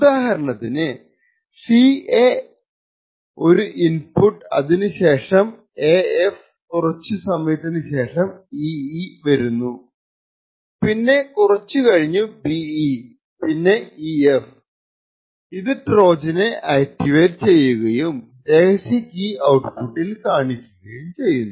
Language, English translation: Malayalam, Now this sequence for example ca is an input which is followed by af and after some time there is an ee, then after some time there is a be and then an ef would finally activate the Trojan and force the secret key to be visible at the output